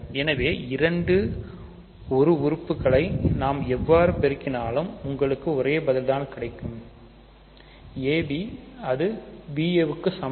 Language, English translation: Tamil, So, no matter how we multiply the two elements, you get the same answer; ab same as ba